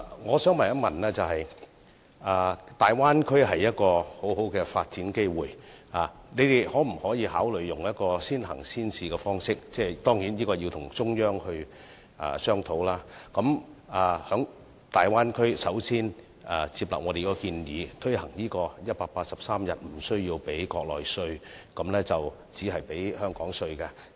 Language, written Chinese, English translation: Cantonese, 我想問，大灣區會提供很好的發展機會，當局可否考慮採用先行先試的方式——當然，這要與中央商討——先接納我們的建議，讓在大灣區工作超過183天的港人無須繳付國內稅，只繳付香港稅？, May I ask given the good development opportunities provided by the Bay Area whether the authorities will consider accepting our proposal under the early and pilot implementation approach―certainly this requires discussion with the Central Authorities―requiring Hongkongers who have worked in the Bay Area for over 183 days to pay tax only in Hong Kong but not on the Mainland?